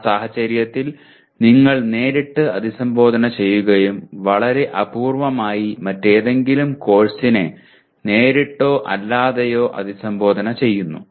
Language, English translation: Malayalam, In that case you are directly addressing and very rarely any other course directly or indirectly addresses this